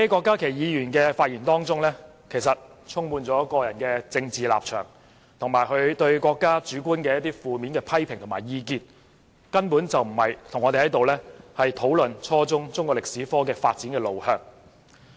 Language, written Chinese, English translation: Cantonese, 郭議員的發言充滿個人政治立場，以及他對國家主觀的負面批評及意見，根本不是與我們討論初中中史科的發展路向。, When Dr KWOK spoke he just talked about his personal political stance as well as his subjective criticisms and negative views on the development of our country . He simply did not discuss with us the direction of development of Chinese History at junior secondary level